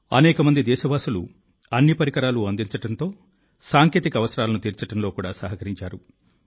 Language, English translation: Telugu, Many countrymen have contributed in ensuring all the parts and meeting technical requirements